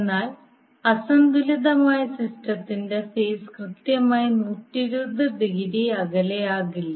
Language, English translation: Malayalam, But in case of unbalanced system the phases will not be exactly 120 degree apart